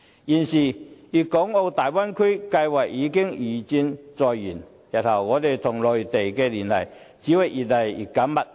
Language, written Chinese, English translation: Cantonese, 現時粵港澳大灣區計劃已經如箭在弦，日後我們跟內地的聯繫只會越來越緊密。, At present the Guangdong - Hong Kong - Macao Bay Area Bay Area project is all set for launching so our ties with the Mainland will only get closer in the future